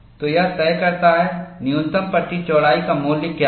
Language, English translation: Hindi, So, that dictates what is the value of the minimum panel width